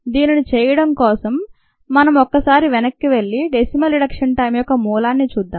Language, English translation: Telugu, let us go back and look at the basis for the derivation of ah decimal reduction time